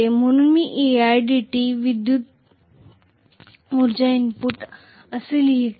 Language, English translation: Marathi, So I am writing e i dt as the electrical energy input